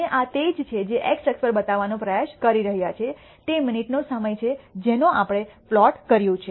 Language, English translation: Gujarati, And that is what this is trying to show on the x axis is a time in minutes that we have plotted